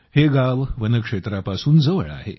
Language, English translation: Marathi, This village is close to the Forest Area